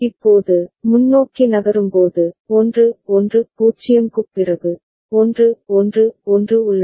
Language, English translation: Tamil, Now, moving forward, after 1 1 0, there is 1 1 1